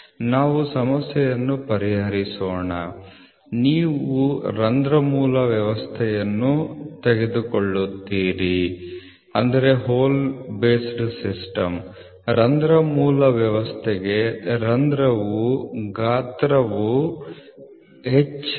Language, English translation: Kannada, So, let us solve the problem so you will take a hole base system; for a hole base system hole size is H